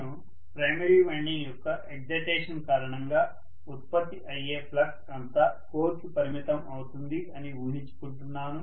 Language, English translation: Telugu, I am assuming that all the flux that is produced because of the primary winding’s excitation is confining itself to the core